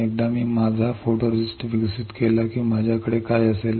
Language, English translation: Marathi, Once I develop my photoresist what will I have